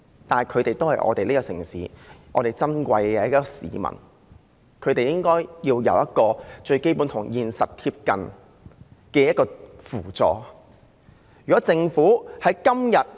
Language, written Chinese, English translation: Cantonese, 但是，他們都是這個城市中的珍貴市民，他們應該有與現實貼近的最基本扶助。, But this does not change the fact that they are precious citizens of this city who should be given the most fundamental aid in the light of the actual situation